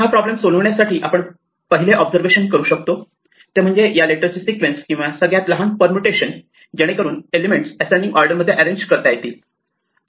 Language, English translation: Marathi, In order to solve this problem the first observation we can make is that, if we have a sequence of such letters or digits the smallest permutation is the order in which the elements are arranged in ascending order